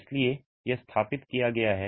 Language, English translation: Hindi, So, this is established